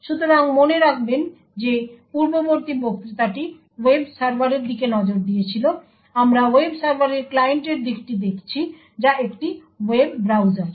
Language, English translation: Bengali, So, note that while the previous lecture looked at the web server we look at the client aspect of the web server that is a web browser